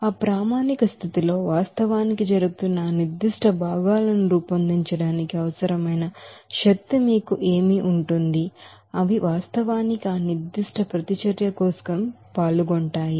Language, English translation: Telugu, So at that standard condition, what will be the you know energy required to form that particular constituents which are actually taking place, which are actually participate for that particular reaction